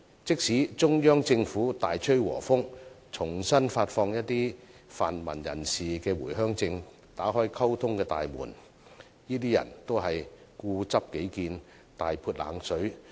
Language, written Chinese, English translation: Cantonese, 即使中央政府大吹和風，重新發放一些泛民人士的回鄉證，打開溝通的大門，他們都固執己見，大潑冷水。, Even if the Central Government shows amicability by reissuing the Home Visit Permit to certain pan - democrats and opens the door of communication they remain adamant about their own views and pour cold water on them